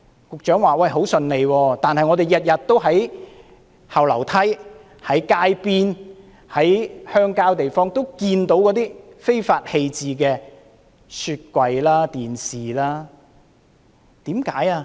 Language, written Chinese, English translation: Cantonese, 局長說很順利，但我們天天都在後樓梯、街邊和鄉郊地方看到被人非法棄置的雪櫃和電視。, The Secretary stated that the scheme went smoothly but yet we see refrigerators and televisions being illegally dumped on rear staircases at the roadside and in rural areas every day